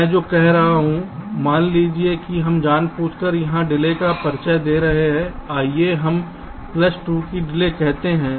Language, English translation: Hindi, what i saying is that suppose we are deliberately introducing a delay out here, lets say, a delay of plus two